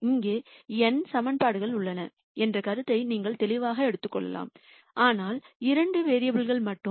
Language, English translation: Tamil, Clearly you can take the view that there are n equations here, but only two variables